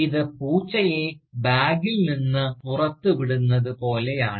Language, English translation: Malayalam, So, this is something like, letting the Cat, out of the Bag